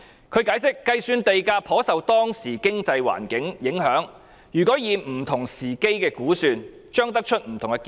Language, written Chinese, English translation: Cantonese, 他解釋，計算地價頗受當時經濟環境影響；不同時間的估算，將會得出不同的結論。, He explained that the calculation of land prices would be affected to a certain extent by the prevailing economic environment and estimates made at different times would have different results